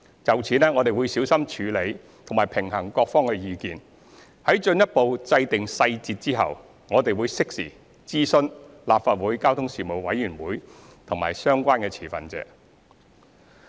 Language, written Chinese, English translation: Cantonese, 就此，我們會小心處理及平衡各方的意見，在進一步制訂細節後，我們會適時諮詢立法會交通事務委員會及相關持份者。, In view of the above we need to carefully consider and balance the views of various parties . Upon the further formulation of details we will consult the Panel and the stakeholders in due course